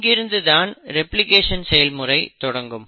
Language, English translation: Tamil, So this is how DNA replication takes place